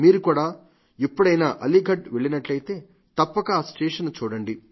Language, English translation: Telugu, If you go to Aligarh, do visit the railway station